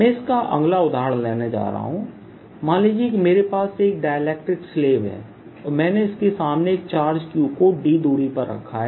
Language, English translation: Hindi, next example i am going to take in this is going to be: suppose i have a dielectric slab and i put a charge q in front of it at a distance d